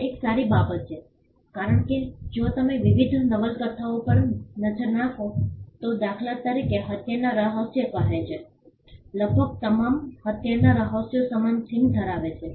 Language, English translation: Gujarati, This is a good thing because, if you look at various genres of novels say for instance murder mystery almost all murder mysteries have a similar theme to follow